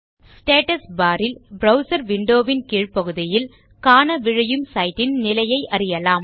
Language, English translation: Tamil, The Status bar is the area at the bottom of your browser window that shows you the status of the site you are loading